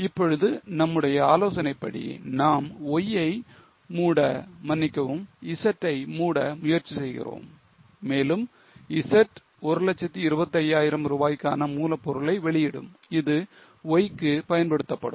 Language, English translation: Tamil, Now as per our, we are trying to close Y, sorry, close Z and Z will release 1,000 25,000 rupees of raw material, which will be used for Y